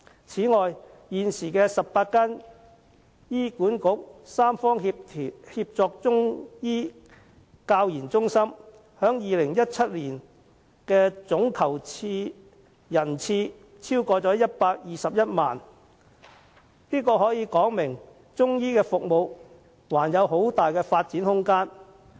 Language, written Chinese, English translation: Cantonese, 此外，現時的18間醫管局三方協作中醫教研中心，在2017年的總求診人數超過121萬人次，可見中醫服務還有很大的發展空間。, Apart from this the 18 tripartite Chinese Medicine Centres for Training and Research operating under HA recorded more than 1 210 000 patient - visits in 2017 showing the vast room for growth in Chinese medicine services